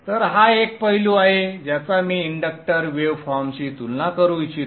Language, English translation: Marathi, I would also like to compare with the inductance inductors waveform